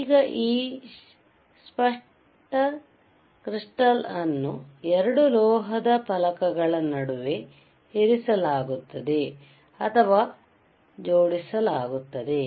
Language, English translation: Kannada, Now, this clear crystal is placed or mounted between 2 metal plates which you can see here right